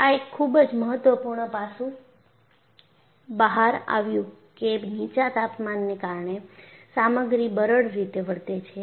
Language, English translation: Gujarati, It brought out a very important aspect that low temperature can cause a material to behave in a brittle fashion